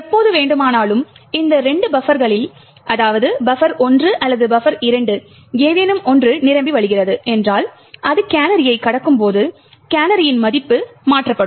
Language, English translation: Tamil, Now whenever, if any of these two buffers overflow, that is buffer 1 or buffer 2 overflows and it crosses the canary, then the canary value will be modified